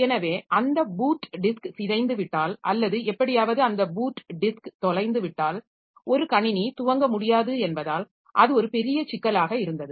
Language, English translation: Tamil, So, if that boot disk is corrupted or somehow that boot disk is lost, then the system cannot boot